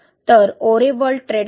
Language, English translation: Marathi, So, Oreworld Trade Co